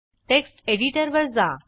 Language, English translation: Marathi, Switch to text editor